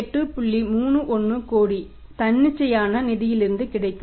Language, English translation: Tamil, 31 crore will be available from the spontaneous finance